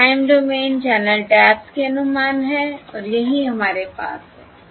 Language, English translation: Hindi, These are the estimates of the time domain channel taps and that is what we have